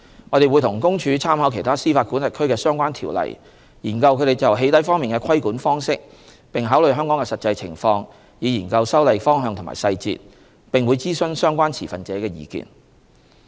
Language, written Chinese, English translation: Cantonese, 我們會與公署參考其他司法管轄區的相關條例，研究它們就"起底"方面的規管方式，並考慮香港的實際情況，以研究修例方向和細節，我們並會諮詢相關持份者的意見。, We will consider the actual circumstances of Hong Kong in the light of the relevant legislation of other jurisdictions on the regulation of doxxing and consult relevant stakeholders in examining the direction and details of introducing legislative amendments